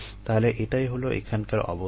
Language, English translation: Bengali, ok, so this is the situation here